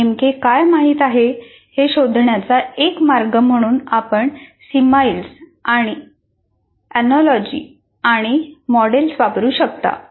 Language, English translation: Marathi, One of the ways to find out what exactly they know, you can make use of similes and analogies and models